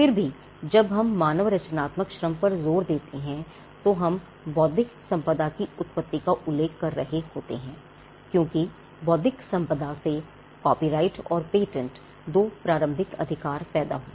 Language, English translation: Hindi, So, so but nevertheless when we talk about when we put the emphasis on human creative labour we are referring to the origin of intellectual property, because intellectual property originated through copyrights and patents that was the two initial rights that emerged